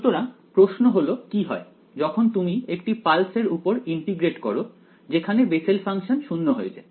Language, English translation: Bengali, So, the question is what happens when you integrate over a pulse where the Bessel’s function goes to 0 right